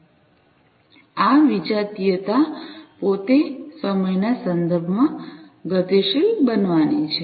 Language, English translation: Gujarati, And this heterogeneity itself is going to be dynamic with respect to time